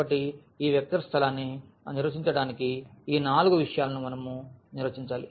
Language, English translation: Telugu, So, we need to define these four four things to define this vector space